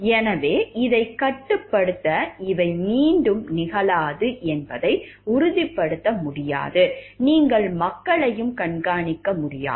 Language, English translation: Tamil, So, to restrict this see you cannot ensure like these are not going to repeat again, you cannot monitor also people from your